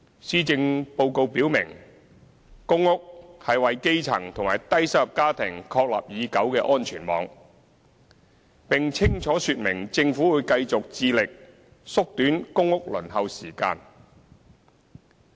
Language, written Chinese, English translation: Cantonese, 施政報告表明，公屋是為基層及低收入家庭確立已久的安全網，並清楚說明政府會繼續致力縮短公屋輪候時間。, The Policy Address indicates that PRH is a long - established safety net for the grass roots and low - income families and that the Government will strive to shorten the waiting time for PRH